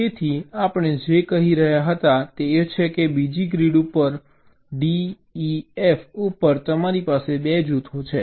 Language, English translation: Gujarati, so what we were saying is that on the second grid, d e, f was there